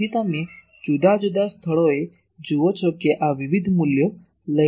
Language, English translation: Gujarati, So, you see at various point this is taking different values